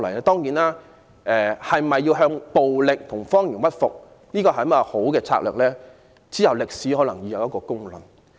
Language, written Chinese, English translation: Cantonese, 當然，向暴力和謊言屈服是否好策略，往後歷史將會有公論。, Of course only time will tell whether it is a good strategy to yield to violence and lies